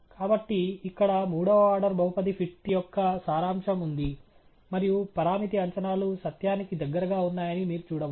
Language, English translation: Telugu, So, here is a summary of the third order polynomial fit, and you can see that the parameter estimates are close to the truth